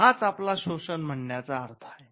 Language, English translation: Marathi, So, this is what we mean by exploitation